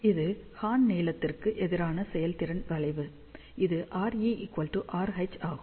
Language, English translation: Tamil, So, this is the efficiency curve versus horn length, which is R E equal to R H